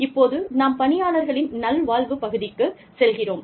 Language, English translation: Tamil, Now, we move on to, employee well being